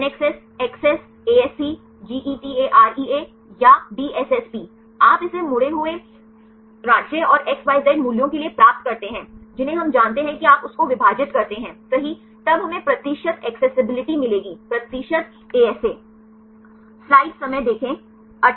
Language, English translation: Hindi, NACCESS, ACCESS, ASC GETAREA or DSSP you get it for the folded state and XYZ values we know then you divide that right then will get the percentage accessibility the percentage ASA